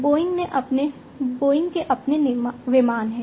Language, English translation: Hindi, Boeing has its own aircrafts